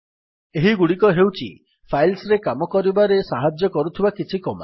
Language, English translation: Odia, These were some of the commands that help us to work with files